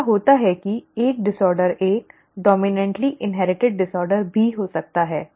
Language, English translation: Hindi, It so happens that a disorder could be a dominantly inherited disorder too